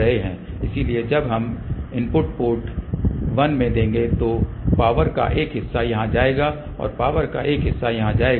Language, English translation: Hindi, So, when we give the input at port 1 part of the power will go here and part of the power will go here